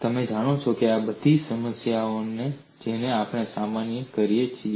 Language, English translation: Gujarati, You know these are all problems that we come across